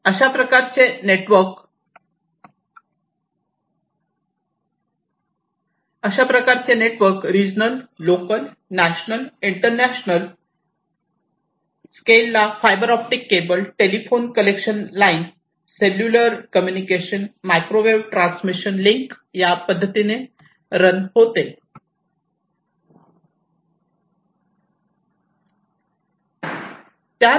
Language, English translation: Marathi, These networks run on the regional, local, national, and international scales, using fiber optic cables, telephone connection lines, cellular communication, microwave transmission links, and so on